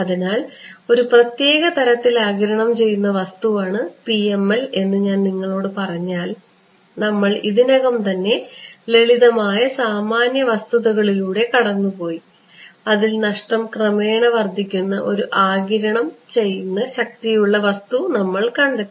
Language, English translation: Malayalam, So, you can if I tell you that the PML is a special kind of absorbing material you can see the motivation, we have already come across just by simple common sense we have come up with one kind of absorber in which where the loss increases gradually right